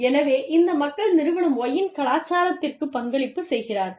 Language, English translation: Tamil, So, these people are contributing, to the culture of, Firm Y